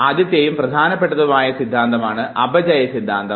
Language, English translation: Malayalam, First and the most important theory is the Theory of Decay